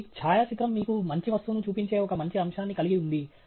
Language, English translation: Telugu, So, a photograph has the nice aspect that it shows you the real object